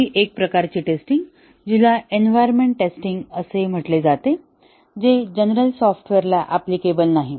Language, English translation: Marathi, One more type of testing, which is environmental test; which is not applicable to general software